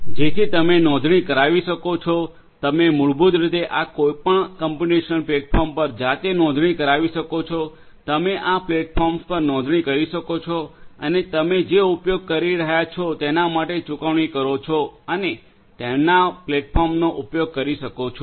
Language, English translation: Gujarati, So, you could subscribe you could basically register yourself to any of these computational platforms you could subscribe to these platforms pay for whatever you are using and could use their platforms